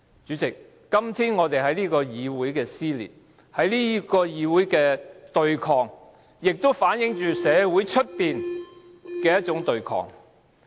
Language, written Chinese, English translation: Cantonese, 主席，今天這個議會的撕裂，這個議會的對抗，也反映出外面社會的對抗。, President the cleavage and confrontation in this legislature is sure to be mirrored in the wider community